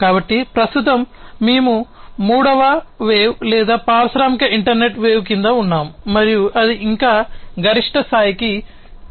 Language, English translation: Telugu, So, currently we are under the third wave or the industrial internet wave and it has not yet reached its peak